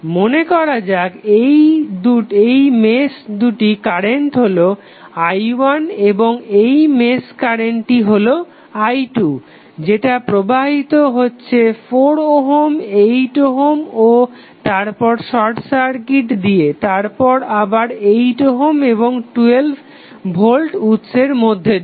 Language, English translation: Bengali, Let us say this is the mesh current as i 1 and this is mesh current as i 2 which is flowing through 4 ohm, 8 ohm and then this through short circuit wire then again 8 ohm and 12 volt source